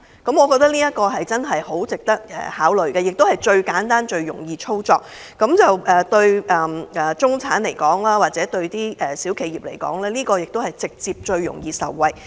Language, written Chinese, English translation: Cantonese, 我認為這項建議很值得考慮，而且是最簡單和最容易操作的方法，對中產或小企業而言，也最容易直接受惠。, I think this suggestion is worth considering . What is more this simple approach is very easy to execute . To the middle - class or small enterprises this is also the most straightforward approach to benefit them